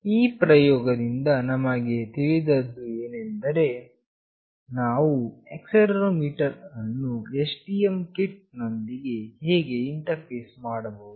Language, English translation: Kannada, From this experiment, what we have understood is that how we can interface the accelerometer to the STM kit